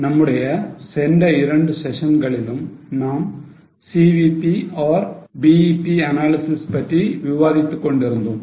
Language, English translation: Tamil, In our last two sessions, we were discussing about CVP or BEP analysis